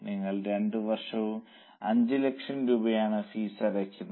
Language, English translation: Malayalam, So, you are paying a fees of 5 lakhs for 2 years